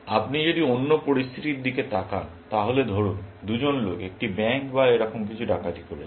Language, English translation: Bengali, If you look at the other scenario, let us say, two people have robbed a bank or something like that